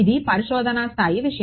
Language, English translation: Telugu, Research level thing yeah